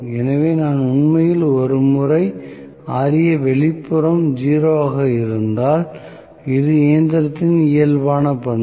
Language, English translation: Tamil, So, I am going to have actually, once Ra external is 0, this is the natural characteristic of the machine